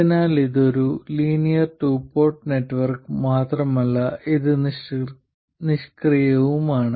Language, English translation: Malayalam, So, by the way, this is not just a linear two port network, it is also passive